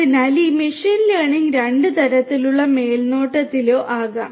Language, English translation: Malayalam, So, this machine learning could be of two types supervised or unsupervised